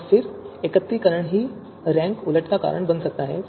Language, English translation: Hindi, And then the aggregation itself can lead to rank reversal